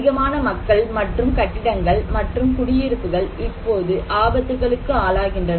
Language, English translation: Tamil, One is more and more people and buildings and settlements are now being exposed to hazards